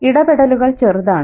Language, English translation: Malayalam, The interventions are small